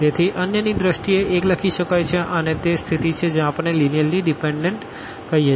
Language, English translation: Gujarati, So, 1 can be written in terms of the others and that is the case where what we call a linear dependence